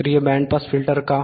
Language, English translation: Marathi, Why active band pass filter